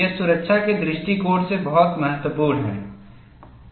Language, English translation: Hindi, This is very important from safety point of view